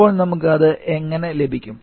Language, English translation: Malayalam, How we can get that